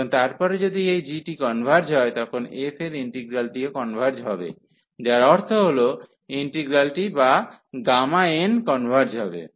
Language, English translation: Bengali, And then if this g converges, then the integral over the f will also converge that means, the integral or the gamma n will converge